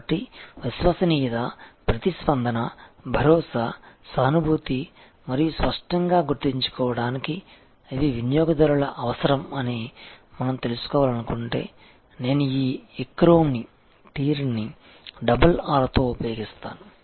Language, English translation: Telugu, So, if we want know that these are the customers requirement that reliability, responsiveness, assurance, empathy and tangibles to remember it easily, I use this acronym TEARR with double R